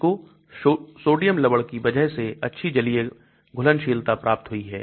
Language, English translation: Hindi, It has good aqueous solubility because of the sodium salt